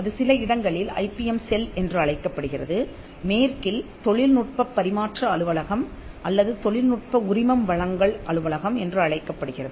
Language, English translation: Tamil, It is called the IP Centre, in some places it is called the IPM Cell, in the west it is called the Technology Transfer Office or the Technology Licensing Office